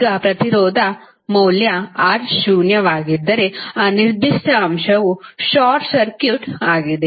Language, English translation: Kannada, Now, if resistance value is R is zero it means that, that particular element is short circuit